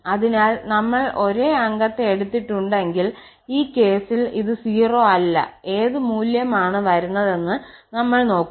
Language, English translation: Malayalam, So, if we have taken the same member, in that case this is not 0 and we will observe now that what is the value coming